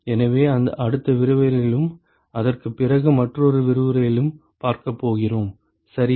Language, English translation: Tamil, So, we are going to see that in the next lecture and probably another lecture after that as well ok